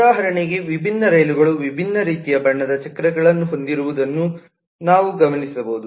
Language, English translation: Kannada, for example, we can observe that different trains have different kind of coloured wheels